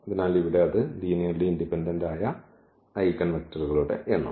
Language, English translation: Malayalam, So, here that is the number of linearly independent eigen vectors